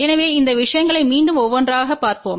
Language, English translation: Tamil, So, let us go through these things one by one again